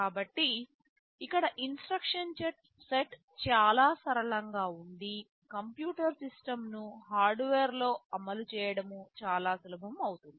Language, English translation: Telugu, Here the instruction set is made very simple, and so it is much easier to implement the computer system in hardware